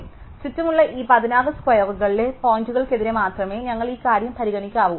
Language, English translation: Malayalam, So, therefore, we only need to consider this point against points in these 16 squares around it